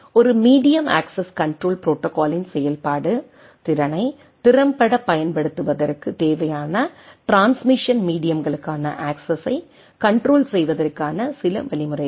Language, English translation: Tamil, Function of a medium access control protocol is some means of controlling the access to the transmission media in needed for efficient use of the capacity right